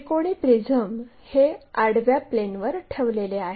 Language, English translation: Marathi, A triangular prism placed on horizontal plane